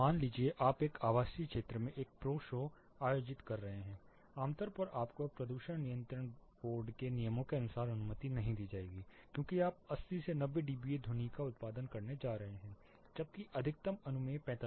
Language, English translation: Hindi, See you are conducting a pro show in a residential area typically you will not be permitted as per pollution control board rules, because you are going to produce 80 to 90 dBA sound while the maximum permissible is 45